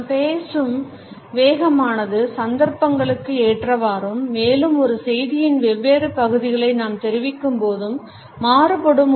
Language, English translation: Tamil, The speed at which we speak is also important we speak at different speeds on different occasions and also while we convey different parts of a message